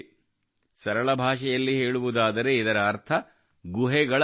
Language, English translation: Kannada, In simple language, it means study of caves